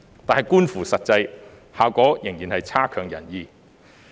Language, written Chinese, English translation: Cantonese, "，但觀乎實際，效果仍然差強人意。, Nevertheless as we have observed the actual effect is still disappointing